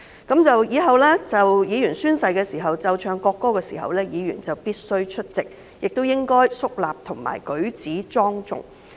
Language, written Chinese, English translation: Cantonese, 《條例草案》通過後，立法會宣誓儀式時會奏唱國歌，議員必須出席，並應該肅立及舉止莊重。, After the passage of the Bill the national anthem will be played and sung in the ceremony for taking the Legislative Council Oath during which Members must be present and should stand solemnly and deport themselves with dignity